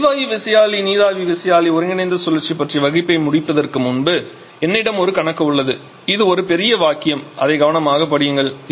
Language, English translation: Tamil, So, before I close on the gas turbine steam turbine combined cycle discussion I have one final numerical problem for you to talk about this a big statement just read it carefully